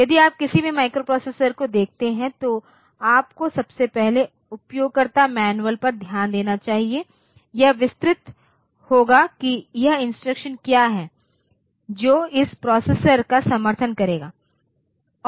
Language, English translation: Hindi, So, if you look into any microprocessor the first thing that you should do is to look into the user manual and the user manual, it will be detailed like what are the instructions that this processor will support